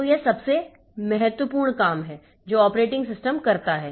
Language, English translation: Hindi, So, this is the most important job that the operating system does